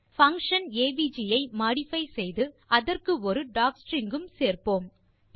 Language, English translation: Tamil, Let us modify the function avg and add docstring to it